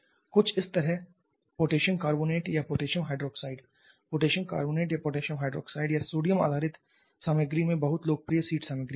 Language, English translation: Hindi, Something like say potassium carbonate or potassium hydroxide very popular seed materials at this potassium carbonate or potassium hydroxide or sodium based materials